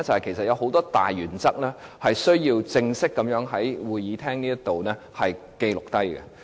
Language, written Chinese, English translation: Cantonese, 便是有很多大原則需要正式在會議廳內記錄下來。, It is because many major principles need to be formally recorded in this Chamber